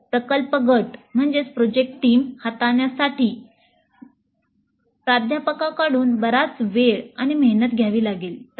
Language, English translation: Marathi, So handling the project teams, which would be very large in number, would require considerable time and effort from the faculty side